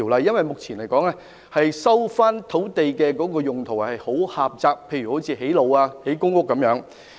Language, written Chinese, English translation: Cantonese, 因為，目前收回土地可作的用途相當狹窄，例如只能用作興建道路和公屋等。, At present the uses of resumed land are very limited . For instance these sites can only be used for the construction of roads and public housing and so on